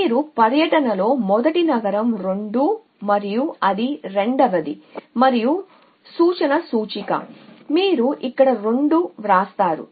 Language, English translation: Telugu, So the first city in you 2 is 2 and that is second and the reference index so you right 2 here